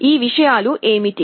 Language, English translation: Telugu, What are these things